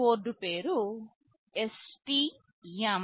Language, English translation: Telugu, The name of the board is STM32F401